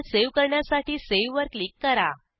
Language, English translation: Marathi, Now click on Save to save the file